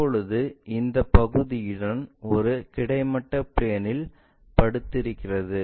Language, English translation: Tamil, Now, it is lying on horizontal plane with this part